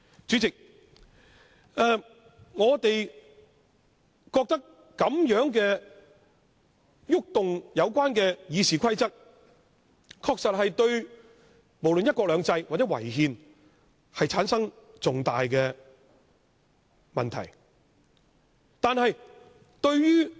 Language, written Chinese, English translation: Cantonese, 主席，我們認為對《議事規則》的修訂確實存在違反"一國兩制"或違憲等重大的問題。, President we hold that the amendments to RoP really involve major problems of violating one country two systems or unconstitutionality